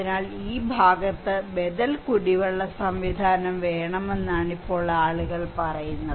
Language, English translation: Malayalam, So, people are saying now that okay, we need alternative drinking water in this area